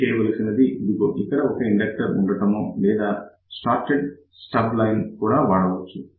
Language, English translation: Telugu, So, all you do it is just put an inductor over here or you can use shorted stub line also